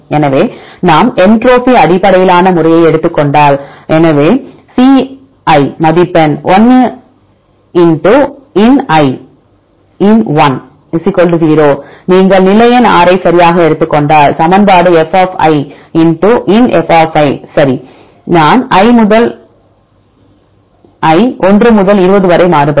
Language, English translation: Tamil, So, if we take the entropy based method; so c is score 1 * ln = 0 if you take the position number 6 right the equation is f * ln f right, i varies from i = 1 to 20